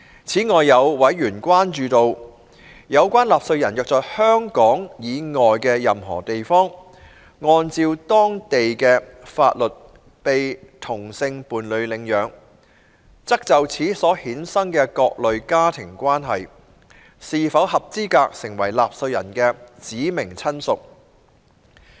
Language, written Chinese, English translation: Cantonese, 此外，有委員關注到，有關納稅人若在香港以外的任何地方，按照當地的法律被同性伴侶領養，則就此所衍生的各類家庭關係，是否合資格成為納稅人的"指明親屬"。, Furthermore Members have expressed concern on whether in relation to a taxpayer who was adopted by a same - sex couple in any place outside Hong Kong according to the law of that place the familial relations arising from the adoption would qualify as the taxpayers specified relative